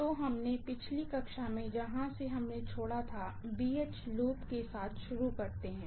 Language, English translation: Hindi, So, let us start off with what we had left off in the last class, BH loop, yes